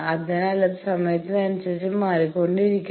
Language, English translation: Malayalam, So, it will be changing with time